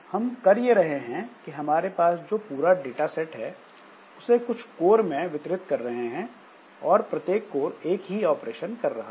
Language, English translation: Hindi, So, what we are doing is that the whole data set I am distributing to a number of codes and each core is doing the same operation